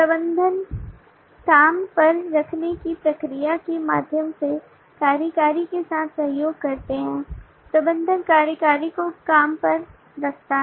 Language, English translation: Hindi, managers collaborates with executive through the process of hiring, manager hire executive